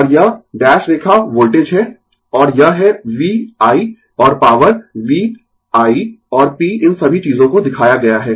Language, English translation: Hindi, And this is dash line is the voltage, and this is the V I and power v, i and p all these things are shown right